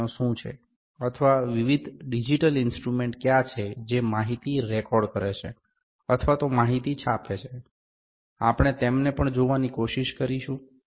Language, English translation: Gujarati, And we can also see the, what are the CNC machines or what are the various digital instruments that record the information even print the information, we will try to see them as well